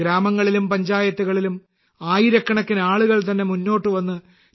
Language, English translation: Malayalam, Thousands of people in villages & Panchayats have come forward themselves and adopted T